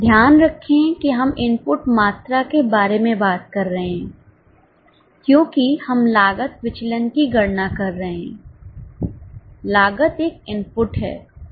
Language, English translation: Hindi, Keep in mind that we are talking about input quantities because we are calculating cost variances